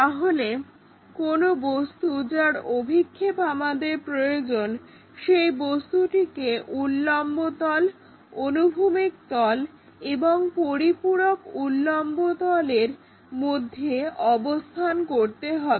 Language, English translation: Bengali, So, the any object whatever the projection we would like to really consider that has to be in between vertical plane, horizontal plane and auxiliary plane or auxiliary vertical plane